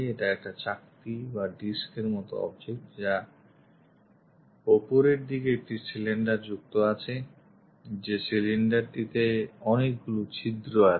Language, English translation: Bengali, It is a disk typeobject having a cylinder attached on top, this is the cylinder and it contains many holes